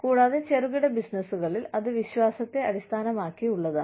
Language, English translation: Malayalam, And, in small businesses, it is trust based